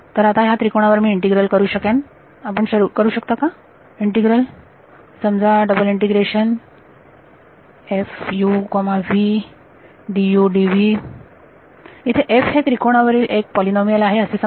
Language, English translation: Marathi, Now on this triangle can I can you do an integral of let us say f of u comma v d u d v, where f is some polynomial over this triangle